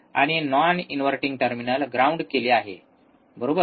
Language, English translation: Marathi, And non inverting terminal is grounded, non inverting is grounded right